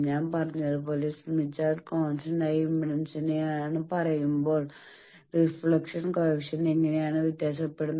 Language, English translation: Malayalam, As I said that when we are saying smith chart is for constant impedance how the reflection coefficient vary